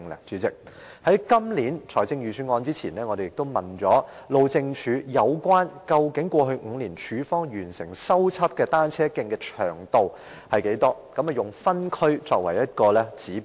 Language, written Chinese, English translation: Cantonese, 在發表本年度財政預算案前，我們曾詢問路政署過去5年署方完成修葺的單車徑的長度，以分區作為指標。, Before the Budget of this year was published we had asked the Highways Department HyD about repair works of cycle tracks completed by the Department in various districts in the past five years